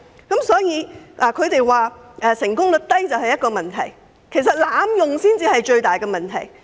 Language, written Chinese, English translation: Cantonese, 他們認為成功率低是一個問題，但其實濫用程序才是最大問題。, While they consider the low success rate a problem the biggest problem actually lies in the abuse of procedures